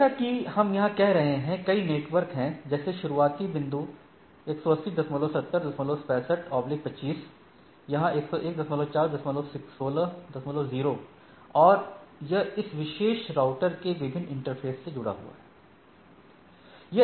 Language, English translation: Hindi, Like here what we are having, there are several network like starting point, 180 70 65 slash 25 here 201 4 dot 16 dot 0 and it is connected with different interfaces of this particular router right